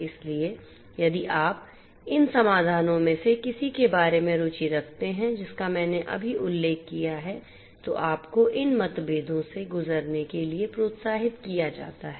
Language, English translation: Hindi, So, if you are interested about any of these solutions that I just mentioned you are encouraged to go through these differences